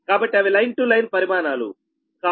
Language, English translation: Telugu, so it is not a line to line quantity, v